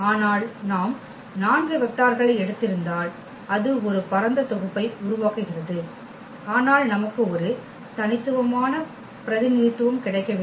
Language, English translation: Tamil, But, if we have taken the 4 vectors still it is forming a spanning set, but we are not getting a unique representation